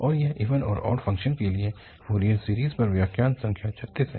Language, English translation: Hindi, And this is lecture number 36 on Fourier series for even and odd functions